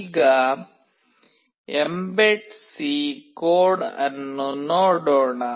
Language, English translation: Kannada, Now, let us see the mbed C code